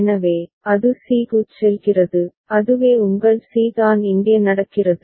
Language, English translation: Tamil, So, it goes to c so that is your c that is what is happening here